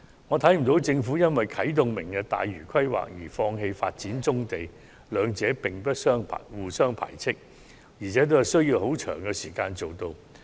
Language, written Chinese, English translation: Cantonese, 我不認為政府會因為啟動"明日大嶼"的規劃而放棄發展棕地，兩者並不互相排斥，而且均需要頗長時間才能完成。, I do not think the Government will give up developing brownfield sites after initiating the Lantau Tomorrow plan because the two initiatives are not mutually exclusive and will take a long period of time to complete